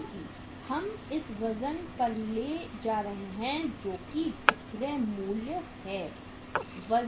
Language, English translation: Hindi, Because we are taking at the weights that is the selling price